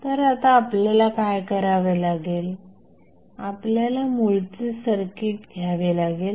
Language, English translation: Marathi, So, what we have to do now, you have to take the original circuit